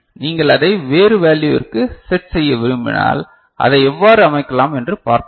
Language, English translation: Tamil, If you want to set it to a different value, we shall see, how it can be set